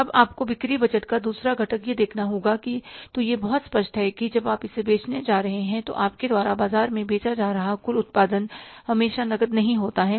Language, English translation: Hindi, Now you will have to see that second component of the sales budget is that when you are going to sell, it's very obvious that total production going to market, you are selling in the market is not always on cash